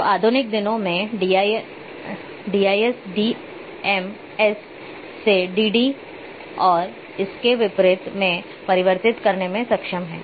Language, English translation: Hindi, So, in modern days DIS are capable of converting from d m s to dd and vice versa